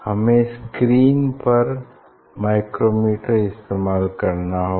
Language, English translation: Hindi, I will use micrometer